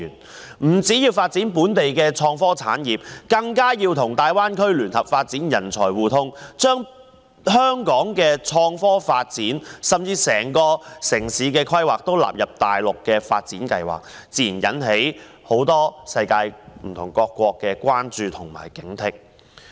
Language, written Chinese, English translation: Cantonese, 政府不但要發展本地的創科產業，更要與大灣區聯合發展人才互通，將香港的創科發展甚至整個城市的規劃全部納入大陸的發展計劃，這自然引起世界各國的關注及警惕。, The Government does not seek to develop the local innovation and technology industry but join hands with the Greater Bay Area to encourage the flow of talents thereby bringing the development of Hong Kongs innovation and technology as well as the planning of the entire city into the development plans of the Mainland . This has naturally aroused the concern and vigilance of different countries in the world